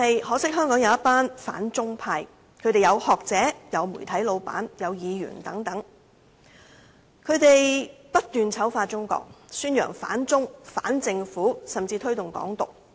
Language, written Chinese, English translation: Cantonese, 可惜，香港有一群反中派，當中有學者、媒體老闆及議員等，他們不斷醜化中國，宣揚反中、反政府，甚至推動"港獨"。, Unfortunately some Hong Kong people including academia media owners and Legislative Council Members have anti - Chinese sentiments . They constantly vilify China stir up anti - Chinese and anti - government sentiments and even promote Hong Kong independence